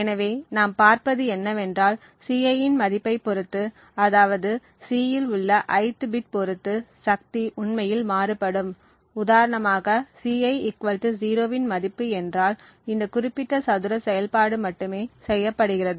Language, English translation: Tamil, So, what we see is that depending on the value of Ci, that is the ith bit in C, the power would actually vary, if for instance the value of Ci = 0, then only this particular square operation is performed